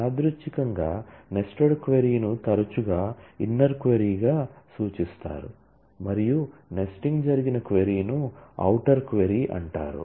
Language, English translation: Telugu, incidentally; the nested query is often referred to as the inner query and the query in which the nesting has happened, is known as the outer query